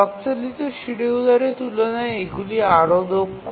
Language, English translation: Bengali, Compared to the clock driven schedulers, these are more proficient